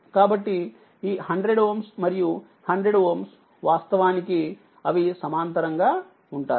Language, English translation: Telugu, So, this 100 ohm and 100 ohm actually they are in parallel right